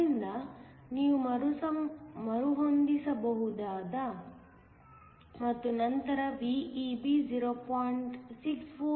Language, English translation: Kannada, So, you can rearrange and then VEB is 0